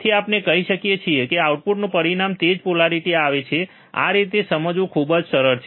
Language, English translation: Gujarati, So, we can also say in the output results in the same polarity right